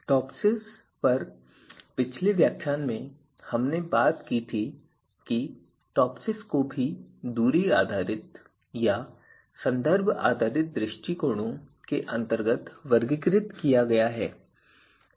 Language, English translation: Hindi, In previous lecture on TOPSIS we talked about that TOPSIS is also categorized under you know distance based method or reference based approaches